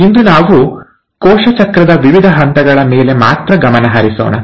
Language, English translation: Kannada, Today we’ll only focus on the various steps of cell cycle